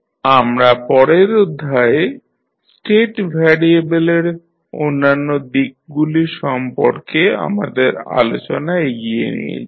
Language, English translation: Bengali, We will continue our discussion related to other aspects of state variable in our next lecture